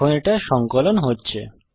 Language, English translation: Bengali, Let me now recompile